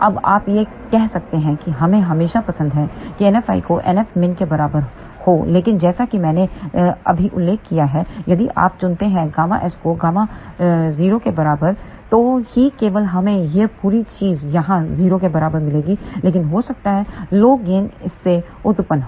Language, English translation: Hindi, Now, you may say that we would always like NF i to be equal to NF min, but as I just mentioned if you choose gamma s equal to gamma 0 then only we will get this whole thing equal to 0 over here, but that may give rise to lower gain